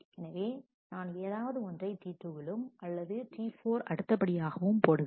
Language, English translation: Tamil, So, I can put any one of T 2 or T 4 after that